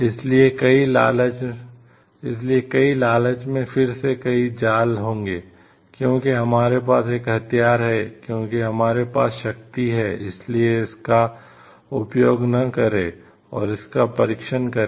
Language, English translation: Hindi, So, there will be many traps many greed s again, because we have the weapon because we have the power why not just use it and test it